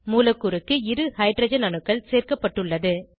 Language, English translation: Tamil, Two hydrogen atoms are added to the molecule